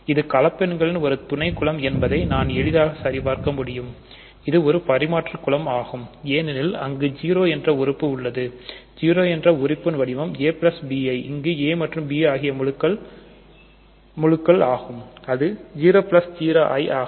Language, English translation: Tamil, It is a subgroup of the complex numbers under addition see this is easy to check that it is an abelian group because there is the 0 element; 0 element is of the form a plus b i right, where a and b are integers it is 0 plus i times 0